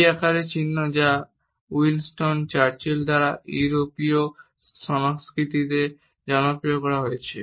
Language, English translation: Bengali, The V shaped sign which is popularized by Winston Churchill in the European culture is known for a victory sign